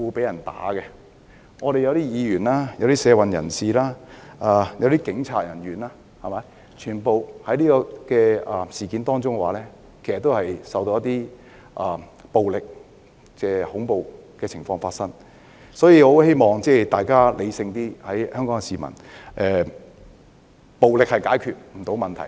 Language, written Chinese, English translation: Cantonese, 有些議員、社運人士和警員均曾在這次事件中遇到暴力或恐怖的情況，所以，我希望香港市民要理性一點，暴力是不能解決問題的。, Some Members social activists and police officers have encountered violent or terrible scenes in this incident . Hence I hope the people of Hong Kong will be rational . Violence cannot solve any problem